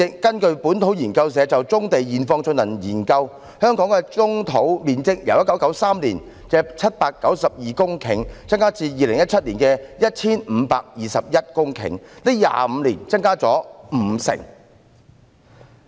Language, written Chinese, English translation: Cantonese, 根據本土研究社就棕地現況進行的研究，香港棕地的面積由1993年的792公頃增加至2017年的 1,521 公頃 ，25 年來增加了五成。, According to the study conducted by Liber Research Community on the present situation of brownfield the total area of brownfield sites in Hong Kong has increased from 792 hectares in 1993 to 1 521 hectares in 2017 seeing an increase of 50 % in 25 years